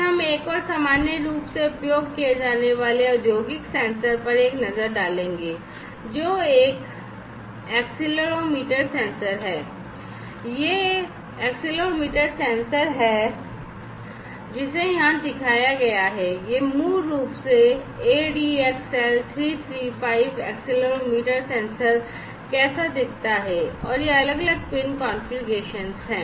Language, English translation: Hindi, Then we will have a look at another very commonly used industrial sensor, which is the accelerometer sensor, and this is this accelerometer sensor that is shown over here the this is basically how this ADXL335 accelerometer sensor looks like and these are the different pin configurations